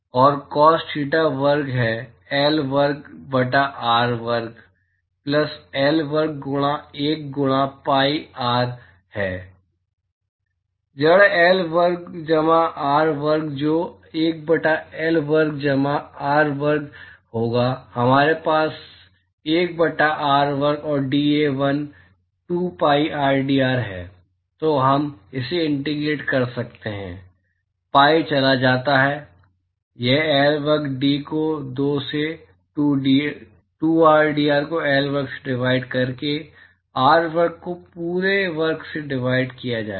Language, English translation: Hindi, And, cos theta square is L square by r square plus L square into 1 by pi r is root L square plus r square that will be 1 by L square plus r square we have 1 by r square and dA1 is 2 pi rdr